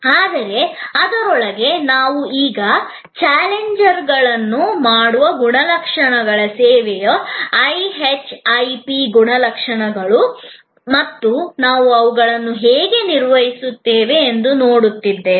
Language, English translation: Kannada, But, within that we are now looking at the challengers post by the characteristics, the so called IHIP characteristics of service and how we manage them